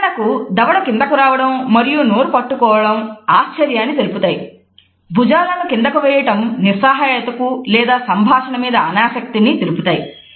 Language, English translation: Telugu, For example, dropping the jaw and holding the mouth which is used to indicate surprise or shrugging the shoulders to indicate helplessness or your unwillingness to talk